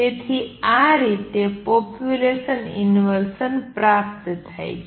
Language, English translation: Gujarati, So, this is how population inversion is achieved